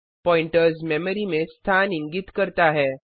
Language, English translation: Hindi, Pointers store the memory address